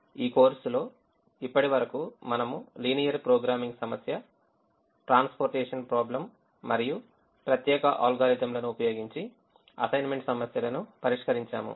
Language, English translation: Telugu, so far in this course we have solved the linear programming problem, transportation problem and the assignment problem using special algorithms